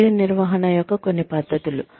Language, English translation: Telugu, Some methods of Career Management